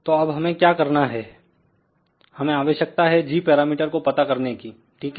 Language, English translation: Hindi, So now what we need to do we need to find out the g parameters, ok